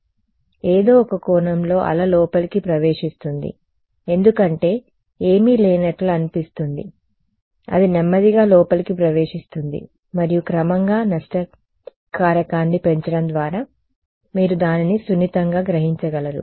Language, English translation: Telugu, So, the wave in some sense enters inside because there is it seems that there is nothing its slowly enters inside and by gradually increasing a loss factor you are able to gently absorb it ok